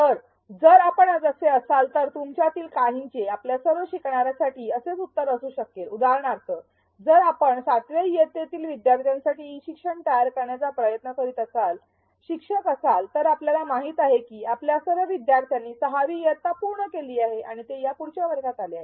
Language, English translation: Marathi, So, if you are so, for some of you may have the same answer for all of your learners for example, if you are a teacher trying to create e learning for seventh grade students, you know that all your learners have finished sixth grade and come